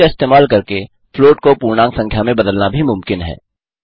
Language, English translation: Hindi, Using int, it is also possible to convert float into integers